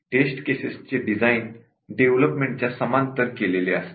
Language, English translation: Marathi, The test cases are designed in parallel with development